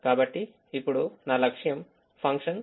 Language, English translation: Telugu, now my objective function is to maximize